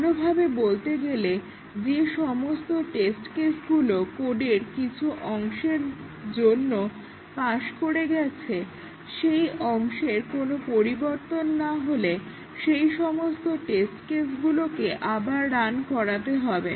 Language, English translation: Bengali, Or, in other words, we have to rerun the test cases which had already passed for some part of the code and even if that part has not changed, we have to rerun those test cases again and that is called as regression testing